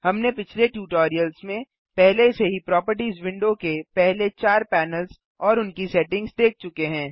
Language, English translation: Hindi, We have already seen the first four panels of the Properties window and their settings in the previous tutorials